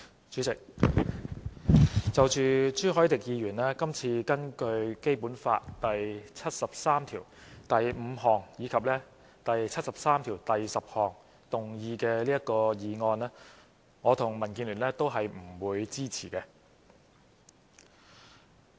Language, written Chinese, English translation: Cantonese, 主席，就着朱凱廸議員今次根據《基本法》第七十三條第五項及第七十三條第十項動議的議案，我和民建聯都不會支持。, President regarding this motion moved by Mr CHU Hoi - dick under Articles 735 and 7310 of the Basic Law the Democratic Alliance for the Betterment and Progress of Hong Kong DAB and I will not support